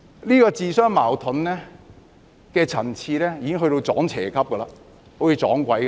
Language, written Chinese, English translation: Cantonese, 這種自相矛盾的層次已經達到"撞邪"級，好像"撞鬼"一樣。, They are self - contradictory to the extent that they are like being haunted by evil spirits or jinxed